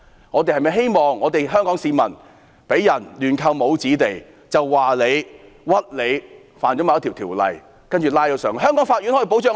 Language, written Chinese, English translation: Cantonese, 我們是否希望香港市民被亂扣帽子、被誣衊違反某法例，接着被逮捕到內地？, Do we want to see Hong Kong citizens being pinned labels arbitrarily wrongly accused of violating a certain law and abducted to the Mainland?